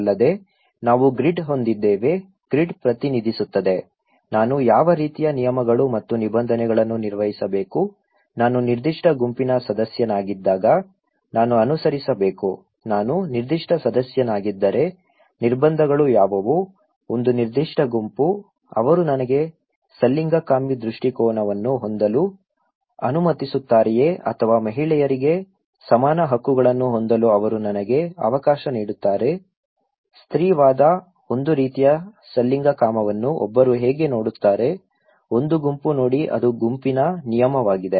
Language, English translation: Kannada, Also, we have the grid okay, the grid represents that what kind of rules and regulations I should maintain, I should follow, when I am a member of a particular group, okay that what are the constraints like if I am a particular member of a particular group, will they allow me to have an orientation of homosexual or will they allow me to have equal rights for the women so, feminism, a kind of homosexuality how one see; one group see that is a kind of the rule of the group